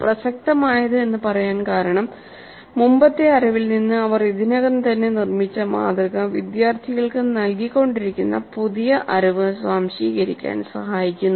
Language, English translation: Malayalam, Relevant because the model that they already have built up from the previous knowledge must help the students in absorbing the new knowledge that is being imparted